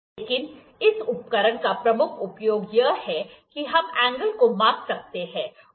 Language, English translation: Hindi, But, the major use of this equipment is that we can measure the angle